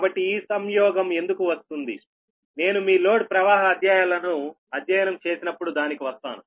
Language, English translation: Telugu, so ah, why this conjugate comes, i will come to that when we will study the your load flow studies